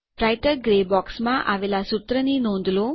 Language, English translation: Gujarati, Notice the formula in the Writer gray box